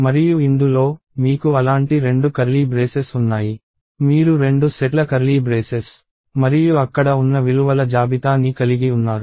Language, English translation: Telugu, And within this, you have two such curly braces – two sets of curly braces and list of values there